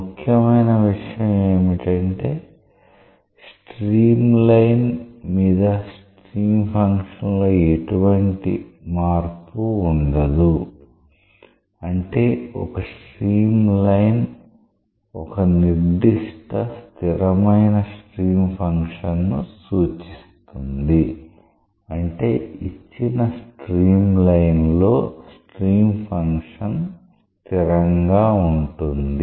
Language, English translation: Telugu, Important conclusion is along a streamline there is no variation in stream function; that means, one stream line represents a particular constant stream function, that is the stream function equal to constant along a given stream line